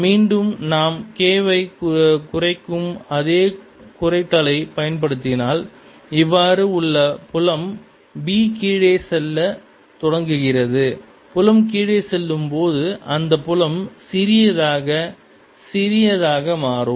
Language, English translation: Tamil, as you reduce k, the field b, which is like this, is going to start going down, right, as the field goes down, as the field becomes smaller and smaller